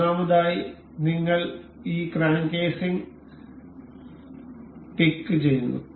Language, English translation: Malayalam, First of all, we will pick this crank casing